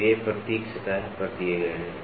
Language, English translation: Hindi, So, these symbols are given on a surface